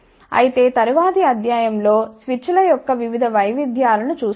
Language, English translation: Telugu, However, we will see various variations of switches in the next lecture